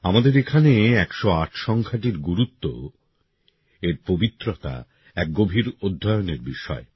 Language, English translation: Bengali, For us the importance of the number 108 and its sanctity is a subject of deep study